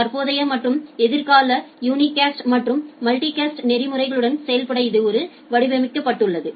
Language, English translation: Tamil, Well so it is designed to operate with current and future unicast and multicast routing protocols